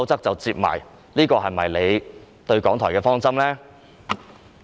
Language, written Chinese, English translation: Cantonese, 這是否政府對港台的方針呢？, Is this the strategy the Government adopted to deal with RTHK?